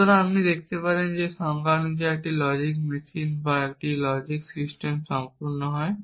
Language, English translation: Bengali, So, you can see that by definition a logic machine or a logic system is complete if it can derive every true formula